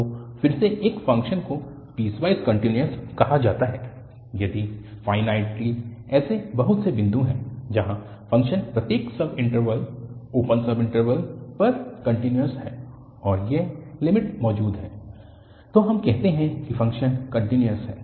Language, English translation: Hindi, So, again a function is called piecewise continuous if there are finitely many such points where the function is continuous on each subinterval and this limit exist, then we call that the function is continuous